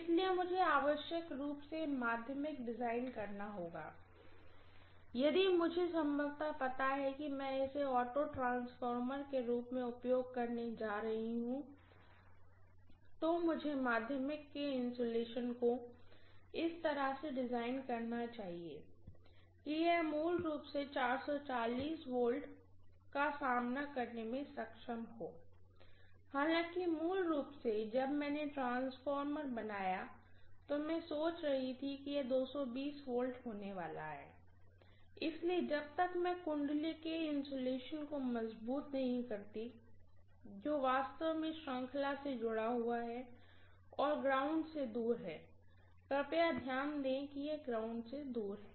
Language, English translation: Hindi, So I have to necessarily designe the secondary if I know apriori that I am going to use this as an auto transformer, then I should design the insulation of the secondary in such a way that it would be able to withstand 440 V, although originally when I conceived and I made the transformer I was thinking it is going to be 220 V, so unless I strengthen the insulation of the winding which is actually connected in series and away from the ground, please note that this is away from the ground